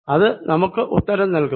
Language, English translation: Malayalam, that should give me the answer